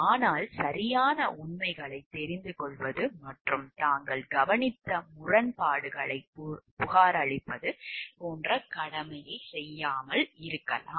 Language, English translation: Tamil, But maybe they have not done their corresponding duty of getting to know the correct facts, and reporting any discrepancy which they have noticed